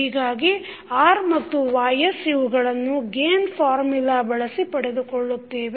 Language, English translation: Kannada, So, R and Ys is obtained by using the gain formula so what we will do